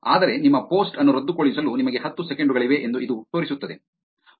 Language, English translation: Kannada, But it showing you that you have ten seconds to cancel your post